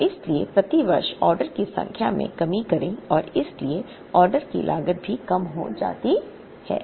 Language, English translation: Hindi, And therefore, decrease the number of orders per year and therefore, the order cost also comes down